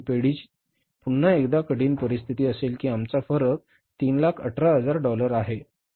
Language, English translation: Marathi, But that will again be a critical situation for the firm that our differences of $318,000, $ 3